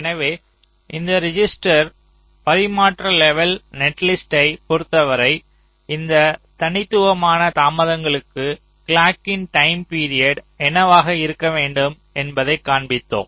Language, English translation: Tamil, so we have seen that with respect to this register transfer level netlist, with these discrete delays are shown, what should be the time period of the clock